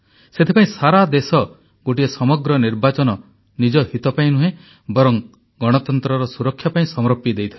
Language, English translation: Odia, And precisely for that, the country sacrificed one full Election, not for her own sake, but for the sake of protecting democracy